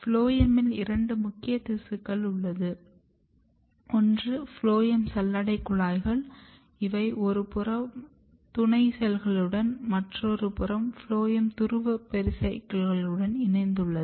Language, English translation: Tamil, In phloem tissues there are two important tissues one is called phloem sieve tubes or sieve element or sieve cells and this is directly connected with companion cell from one side and phloem pole pericycle from another side